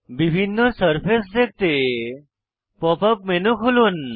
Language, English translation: Bengali, To view different surfaces, open the pop up menu